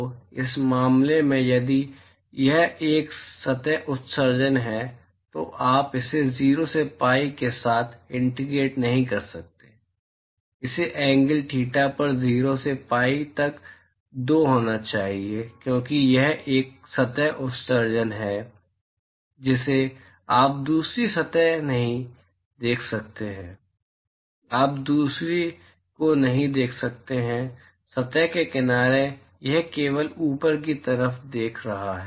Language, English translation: Hindi, So, in this case if it is a surface emission you cannot integrate it with 0 to pi, it has to be 0 to pi by 2 on the angle theta because it is a surface emission you cannot see the other surface you cannot see the other side of the surface it is only seeing the top side